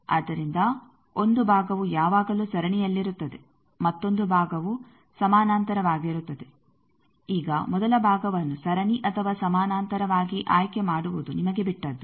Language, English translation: Kannada, So, 1 part will be always in series another part is in parallel now it is up to you to select whether the first part you want as series or parallel